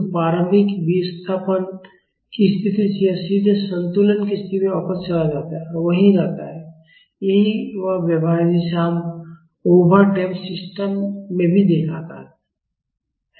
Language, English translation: Hindi, So, from the initial displacement position it directly goes back to the equilibrium position and stays there that is the behavior we have also seen used in over damped system